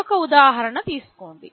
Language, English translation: Telugu, Take another example